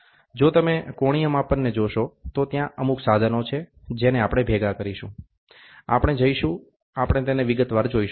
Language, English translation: Gujarati, If you look at the angular measurement, these are some of the devices, which we assemble we will go, we will see it in detail